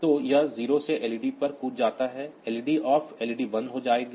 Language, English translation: Hindi, So, it jump on 0 to led off, led off will turn off the led